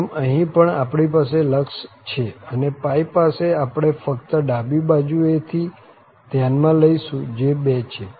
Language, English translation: Gujarati, So, here also we have the limit and at pi we will just consider from the left hand side so that is 2